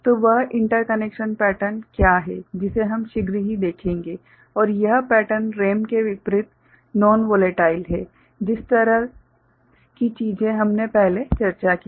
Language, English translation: Hindi, So, what is that interconnection pattern that we shall see shortly and this pattern is non volatile unlike RAM, the kind of things that we had discussed before